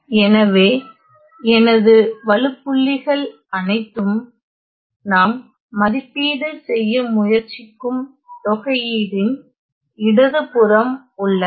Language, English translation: Tamil, So, all my singularities are to the left of the integral that we are trying to evaluate